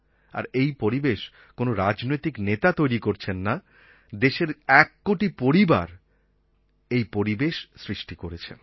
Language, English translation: Bengali, This atmosphere has not been created by any political leader but by one crore families of India